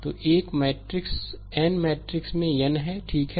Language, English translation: Hindi, So, a a matrix is n into n matrix, right